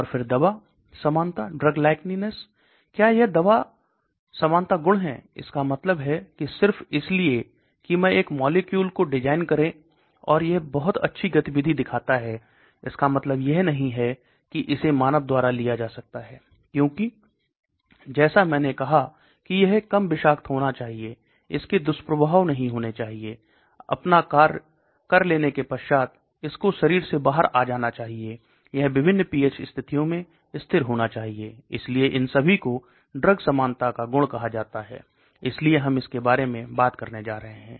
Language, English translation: Hindi, And then drug likeness, does it have the drug likeness property, that means just because I design a molecule and it shows very good activity does not mean it can be taken in by human, because like I said it should be less toxic, it should be not have side effects, it should be coming out of the body after it is done its function, it should be stable at various pH conditions, so these are all called drug likeness property, so we are going to talk about that